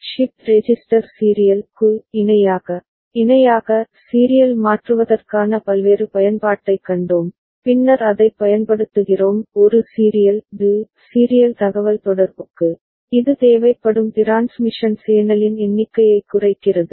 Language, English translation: Tamil, And we saw a various application of shift register serial to parallel, parallel to serial conversion, and then using that for a serial to serial communication which reduces the number of transmission channel required that is required